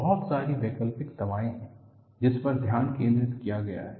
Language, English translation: Hindi, There are a lot of alternative medicines have been focused upon